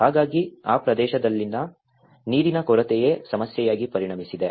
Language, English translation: Kannada, So, it has become even the water scarcity is the issue in that particular region